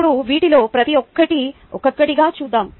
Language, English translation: Telugu, now lets look at each of these one by one